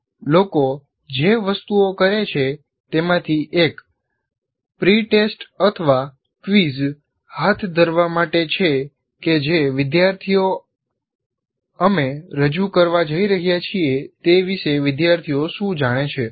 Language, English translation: Gujarati, And if you consider, for example, one of the things that people do is conduct a pre test or a quiz to find out what the students know about the topic that we are going to present